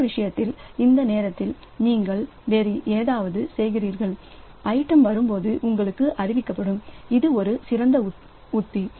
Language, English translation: Tamil, Other case, so you are just doing something else and when the item arrives then you are informed so that is a better strategy